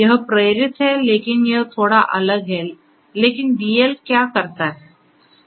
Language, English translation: Hindi, It is inspired, but is it its bit different, but what DL does